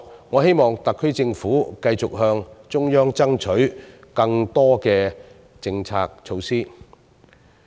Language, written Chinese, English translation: Cantonese, 我希望特區政府往後繼續向中央爭取更多此類政策措施。, I hope the SAR Government will continue to strive for the Central Authorities to introduce more policy measures like these